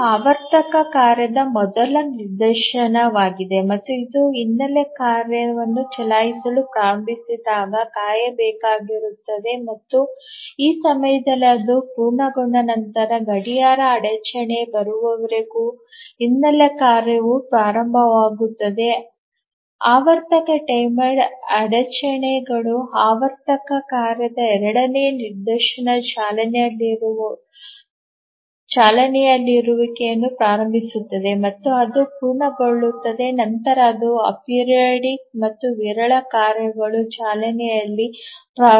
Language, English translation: Kannada, So this is the first instance of the periodic task and as it started running, the background tasks are to wait and after its completion at this point the background tasks start running until the clock interrupt comes the periodic timer interrupt at which the second instance of the periodic task starts running and it completes only then the other a periodic and sporadic tasks start running